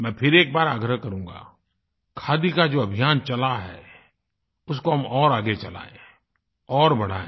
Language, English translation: Hindi, I once again urge that we should try and take forward the Khadi movement